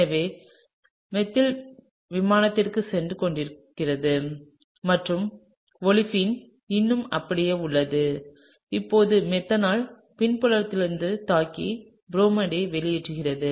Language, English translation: Tamil, So, the methyl is going into the plane and the olefin is still intact and now the methanol has attacked from the backside and kicked out bromide